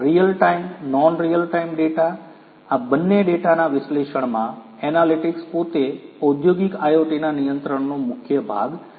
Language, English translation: Gujarati, Analysis of data both real time non real time data; the analytics itself is core to industrial IoT